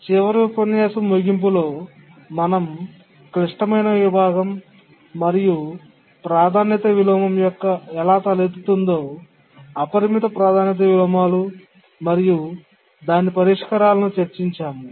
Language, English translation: Telugu, Towards the end of the last lecture, we are discussing about a critical section and how a priority inversion can arise, unbounded priority inversions and what are the solutions